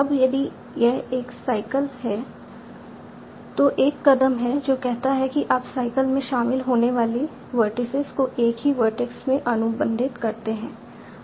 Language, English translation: Hindi, Now if there is a cycle then there is a step that says you contract the vertices that are involved in the cycle in a single vertex